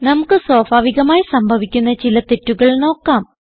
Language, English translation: Malayalam, Now let us see some common errors which we can come accross